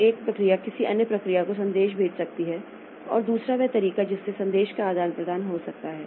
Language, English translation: Hindi, So, one process may send a message to another process and another, so that way the message exchange can take place